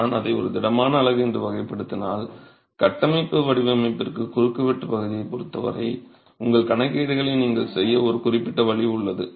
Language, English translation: Tamil, And if I were to classify that as a solid unit, then you have a certain way in which you will make a calculations as far as area of cross section is concerned for structural design